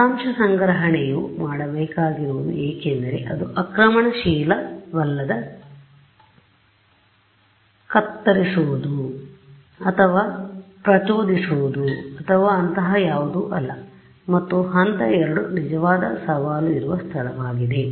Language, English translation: Kannada, Data collection is all I need to do because its non invasive I am not going and cutting or prodding or anything like that and step 2 is where the real challenge is, right